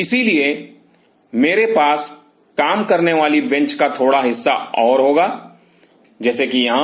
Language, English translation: Hindi, So, I will have a little bit more of working bench like here